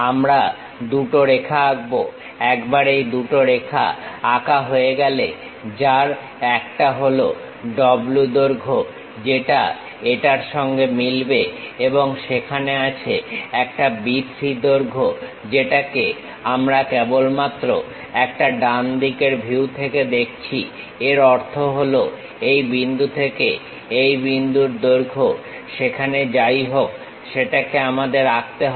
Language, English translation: Bengali, We draw two lines two lines, once these two lines are drawn one is W length matches with this one and there is a B 3 length, which we can see it only from right side view; that means, from this point to this point the length whatever it is there that we have to draw it